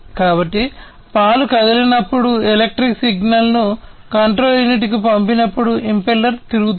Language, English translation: Telugu, So, impeller spins when the milk moves and sends the electrical signal to the control unit